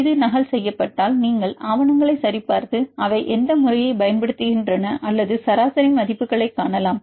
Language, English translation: Tamil, If it is duplicated you can check the data either you read the papers and see the method which method they use or see the average values